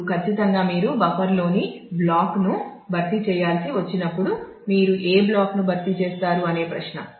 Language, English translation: Telugu, Now, certainly when you have to replace the block in the buffer, then the question is which block would you replace